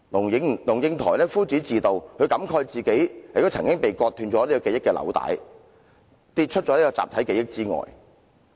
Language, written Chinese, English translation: Cantonese, 龍應台夫子自道，她感慨自己的記憶紐帶亦曾經被割斷，跌出了集體記憶之外。, LUNG Ying - tai said with a heave of sigh that she once dropped out of her collective memory due to the severing of her memory link